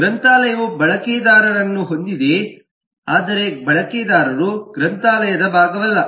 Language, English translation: Kannada, library has users, but users are not part of the library, they are not components of the library